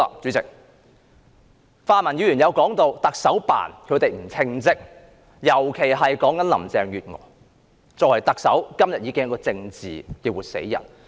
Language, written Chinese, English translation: Cantonese, 主席，泛民議員提到行政長官辦公室不稱職，尤其是林鄭月娥作為特首，今天已是一個政治的活死人。, President pan - democratic Members have mentioned about the dereliction of duty on the part of the Chief Executives Office and in particular Carrie LAM as the Chief Executive has become a living dead politically these days